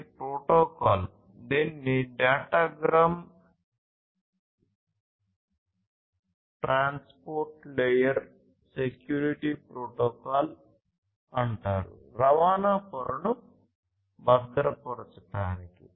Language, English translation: Telugu, So, this there is a protocol which is called the Datagram Transport Layer Security Protocol; for securing the transport layer